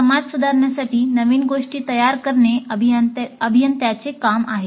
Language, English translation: Marathi, It is an engineer's job to create new things to improve society